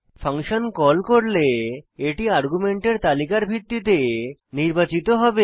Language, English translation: Bengali, When a function is called it is selected based on the argument list